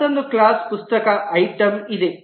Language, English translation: Kannada, There is another class, book item